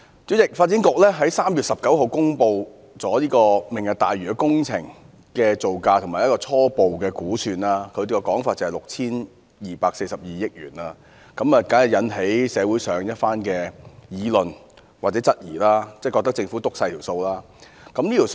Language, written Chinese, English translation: Cantonese, 主席，發展局在3月19日公布"明日大嶼"工程的造價及初步估算，當時的說法是 6,240 億元，當然引起了社會上一番議論和質疑，認為政府刻意把造價說小了。, President the Development Bureaus announcement on 19 March that the costs and preliminary estimates of the Lantau Tomorrow project will be 624 billion has certainly aroused discussions and doubts in society for the people think that the Government has deliberately understated the amount